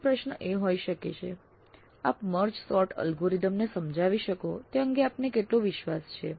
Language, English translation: Gujarati, Another question can be how confident you are that you can explain MedSort algorithm